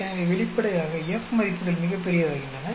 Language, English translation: Tamil, So obviously, the F values become very large